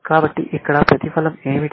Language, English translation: Telugu, So, what is the payoff here